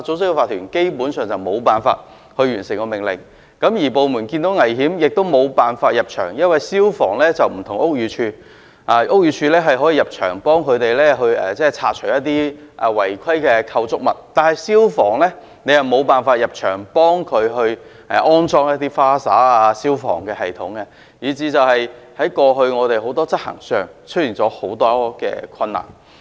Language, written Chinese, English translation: Cantonese, 此外，消防員即使看見工廈內存在危險亦無法入場處理，因為與屋宇署不同，屋宇署是有權可以進入工廈內拆除一些違規的建築物，但消防處卻無權入場替他們安裝灑水系統及消防系統，以至政府部門過去在執法上出現很多的困難。, Besides even if firemen detect any danger in the industrial building they cannot enter the building to deal with it because FSD is not empowered to enter the premises to install fire sprinkler and fire safety systems for them unlike the Buildings Department which is empowered to enter any industrial buildings to remove illegal structures . As a result government departments have been caught in many enforcement difficulties all along